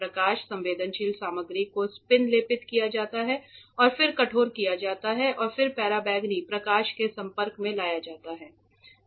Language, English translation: Hindi, The photosensitive material is spin coated then hardened and then exposed to ultraviolet light